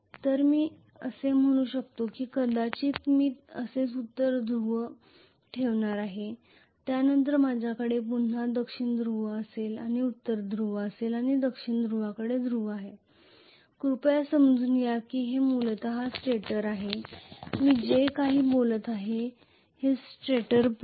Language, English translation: Marathi, So let me say may be I am going to have a North Pole like this after that I am going to have a South Pole again I am going to have North Pole and I am going to have a South Pole please understand this is essentially stator, whatever I am talking about is stator Poles